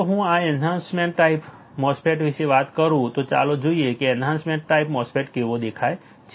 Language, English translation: Gujarati, If I talk about enhancement type MOSFET; let us see how the enhancement type MOSFET looks like